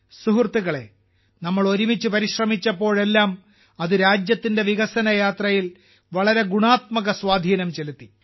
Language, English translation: Malayalam, Friends, whenever we made efforts together, it has had a very positive impact on the development journey of our country